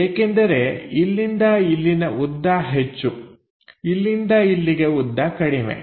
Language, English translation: Kannada, Because, this length to this is larger length this to this shorter length